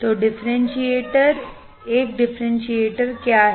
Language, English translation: Hindi, So, differentiator, what is a differentiator